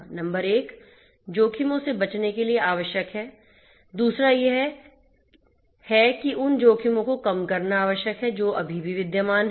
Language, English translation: Hindi, Number 1 is it is required to avoid the risks; second is IT is required to mitigate the risks that will be you know still existing